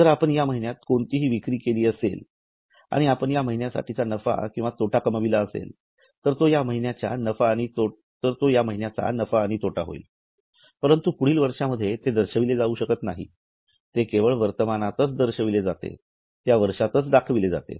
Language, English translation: Marathi, So, if you have made any sales in this month and if you make profit and loss for this month, it will come as a profit and loss of this month but it cannot be shown in the next year